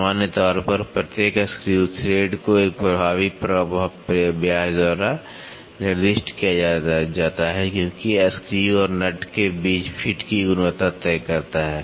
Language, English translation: Hindi, In general, each of the screw thread is specified by an effective diameter as it decides the quality of the fit between the screw and a nut